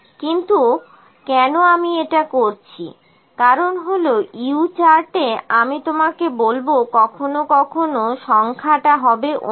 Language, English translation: Bengali, But why I am doing it because in the U chart I will tell you that sometimes the number is different